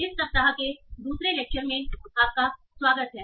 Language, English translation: Hindi, So welcome back for the second lecture of this week